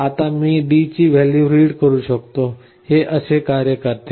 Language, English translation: Marathi, Now I can read the value of D